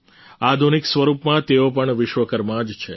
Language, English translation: Gujarati, In modern form, all of them are also Vishwakarma